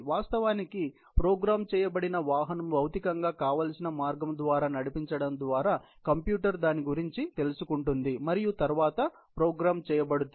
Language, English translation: Telugu, A programmed vehicle is actually physically, taken by walking through the desired route and the computer learns about that and then, again programs